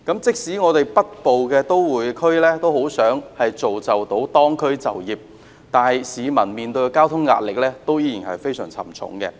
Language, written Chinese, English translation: Cantonese, 即使北部都會區很想造就當區就業，但市民面對的交通壓力依然非常沉重。, While the Government is keen to create jobs locally in the Northern Metropolis members of the public will still be facing tremendous pressure from transportation